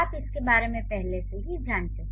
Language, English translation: Hindi, You already know about it